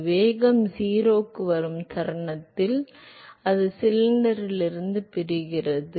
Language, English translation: Tamil, So, much that the velocity comes to 0 the moment it comes to 0, it separates out from the cylinder